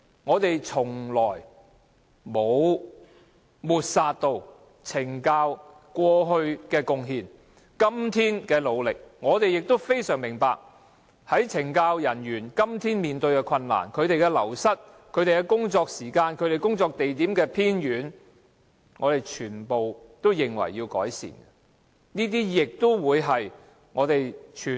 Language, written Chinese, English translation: Cantonese, 我們從來沒有抹煞懲教署過去的貢獻及今天的努力，我們亦非常明白懲教人員面對人員流失、工作時間長及工作地點偏遠等困難，我們認為全部都要改善。, We have never ignored CSDs past contributions and its efforts today and we fully understand the difficulties faced by CSD officers including staff wastage long working hours and remote workplaces . We think improvements should be made